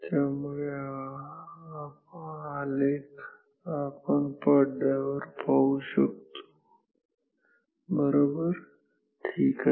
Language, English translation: Marathi, So, this is the plot that we shall see on screen right ok